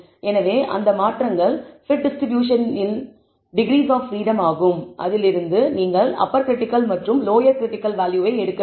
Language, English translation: Tamil, So, that changes is the degrees of freedom of the t distribution from which you should pick the upper and lower critical value